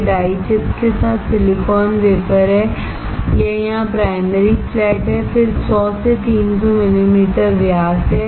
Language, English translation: Hindi, This is the silicon wafer with die chips, this is the primary flat here, then there are 100 to 300 millimetre in diameter